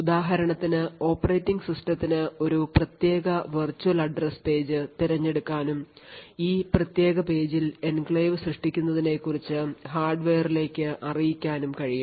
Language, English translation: Malayalam, For example, the operating system could choose a particular virtual address page and specify to the hardware that the enclave should be created in this particular page